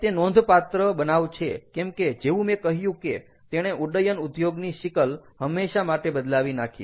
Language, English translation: Gujarati, it is very landmark incident because it forever changed the face of the aviation industry